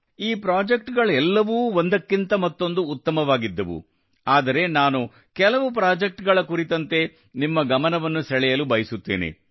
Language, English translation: Kannada, Although all these projects were one better than the other, I want to draw your attention to some projects